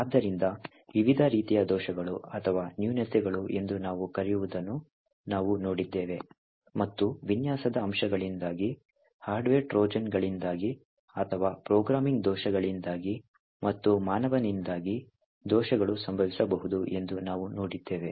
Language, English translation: Kannada, So, we have seen that there are different types of such vulnerabilities or what we call as a flaws and we have seen that the flaws could occur due to design aspects, due to hardware Trojans or due to programming bugs as well as due to the human factor